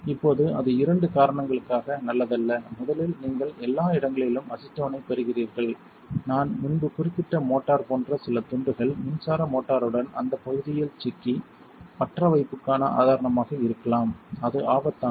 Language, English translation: Tamil, Now that is not good for two reasons, first you are getting acetone everywhere and some of the pieces like the motor I mentioned earlier might get stuck to that area with the electric motor and might be a source of ignition so that is dangerous